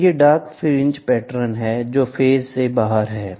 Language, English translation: Hindi, So, these are dark fringe patterns; where they are out of phase